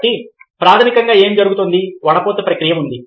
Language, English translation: Telugu, so what basically happens is that, ah, there is a process of filtering